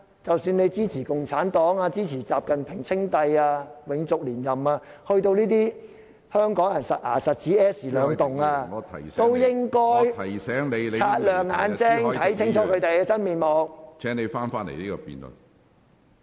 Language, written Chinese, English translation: Cantonese, 即使你支持共產黨、習近平稱帝、永續連任，在與香港人息息相關的金錢問題上，也應該擦亮眼睛，看清楚他們的真面目。, Members may support the Communist Party or the re - election of XI Jinping to rule indefinitely but when it comes to money issues that are closely related to Hong Kong people they will have to keep their eyes open to see the true colour of those Members